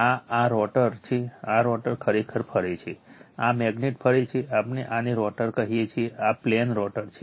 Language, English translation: Gujarati, This is this rotor this rotor actually rotating this magnet is rotating, we call this a rotor, this plane is rotor right